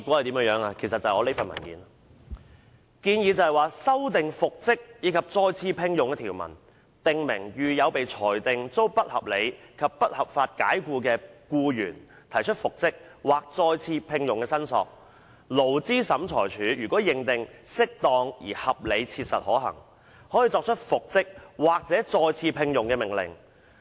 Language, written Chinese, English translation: Cantonese, 當局作出以下建議："修訂復職及再次聘用的條文，訂明遇有被裁定遭不合理及不合法解僱的僱員提出復職/再次聘用的申索，勞資審裁處如認為適當而合理切實可行，可作出復職/再次聘用的命令。, The Administrations recommendation was as follows the reinstatement and re - engagement provisions be amended to the effect that where an employee who has been found to be unreasonably and unlawfully dismissed makes a claim for reinstatementre - engagement the Labour Tribunal may make an order of reinstatementre - engagement if it considers it appropriate and reasonably practicable